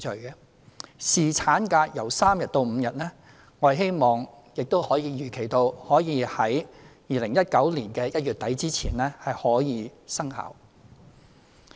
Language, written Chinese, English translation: Cantonese, 就侍產假由3天增至5天，我們希望並預期可在2019年1月底前生效。, In regard to the increase of paternity leave from three days to five days we hope that it can become effective as scheduled by the end of January 2019